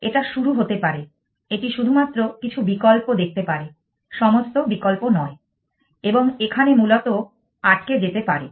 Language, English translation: Bengali, It could get started; it could only see some options and not all options and could get stuck there essentially